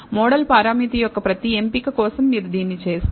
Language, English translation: Telugu, This you will do for every choice of the model parameter